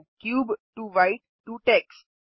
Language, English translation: Hindi, Cube to White to Tex